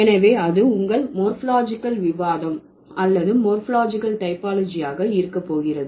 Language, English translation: Tamil, So, that's going to be your morphological discussion or the morphological typology